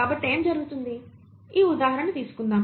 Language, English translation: Telugu, So what happens; let us take this example